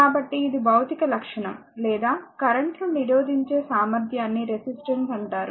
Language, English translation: Telugu, So, the physical property or ability to resist current is known as resistance